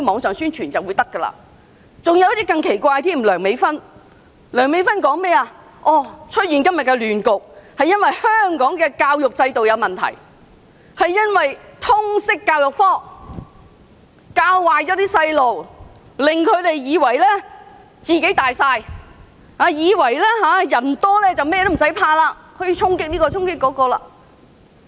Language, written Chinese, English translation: Cantonese, 有些人的看法更是奇怪，以梁美芬議員為例，她認為今天的亂局源於香港教育制度出現問題，通識教育科教壞青少年，令他們以為"自己大晒"，以為人多便甚麼都不怕，可以到處衝擊。, Some others hold even stranger views . For example Dr Priscilla LEUNG argues that the chaos today is caused by the defects in our education system . In her view Liberal Studies has badly influenced our young people misleading them into believing that they are the boss and can gang up to storm any places